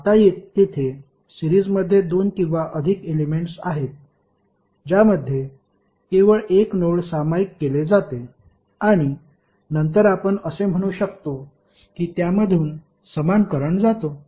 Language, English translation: Marathi, Now there are two or more elements which are in series they exclusively share a single node and then you can say that those will carry the same current